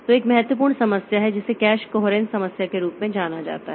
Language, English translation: Hindi, So, there is an important problem which is known as the cache coherence problem